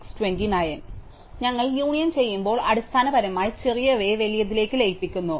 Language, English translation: Malayalam, So, when we do union we basically do this merging of the smaller one to the larger one